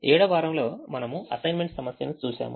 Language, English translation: Telugu, the week seven we looked at the assignment problem